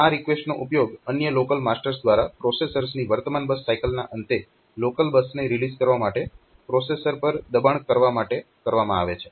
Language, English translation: Gujarati, So, these requests are used by other local masters to force the processors to release the local bus at end if the processors current base mass cycle